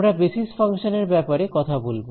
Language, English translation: Bengali, So, we will talk about basis functions